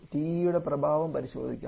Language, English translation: Malayalam, Now let us check the effect of TE